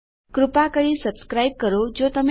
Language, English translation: Gujarati, Please subscribe if you havent already